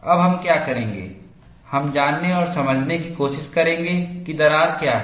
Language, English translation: Hindi, Now, what we will do is, we will try to go and understand, what is crack closure